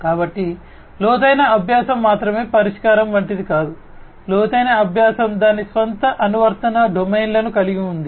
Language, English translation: Telugu, So, it is not like you know deep learning is the only solution, deep learning has its own application domains